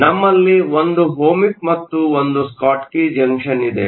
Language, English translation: Kannada, We have one Ohmic, and one Schottky junction